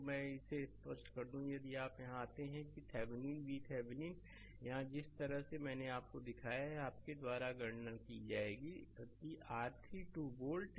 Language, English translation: Hindi, So, let me clear it so, if you come here that Thevenin V Thevenin here, the way I showed you it has been computed as your 12 volt right